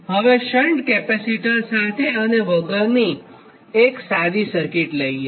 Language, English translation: Gujarati, now take a simple circuit right, with and without shunt capacitor